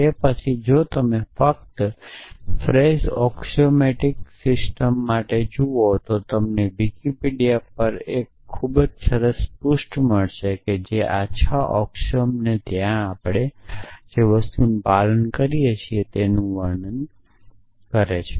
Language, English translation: Gujarati, Then, if you just look up for Frege axiomatic system, you will find a very nice page on Wikipedia which describes this six axioms and the things which we follow from there